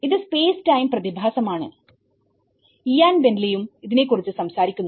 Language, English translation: Malayalam, This is space time phenomenon which Ian Bentley also talks about it